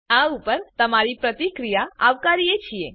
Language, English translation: Gujarati, We welcome your feedback on these